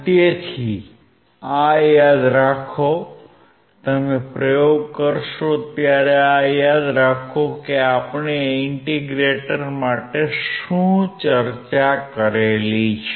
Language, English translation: Gujarati, So, remember this, you will perform the experiments remember this; what we have discussed for integrator